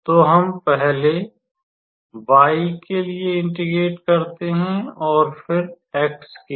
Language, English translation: Hindi, So, we first integrate with respect to y, and then, with respect to x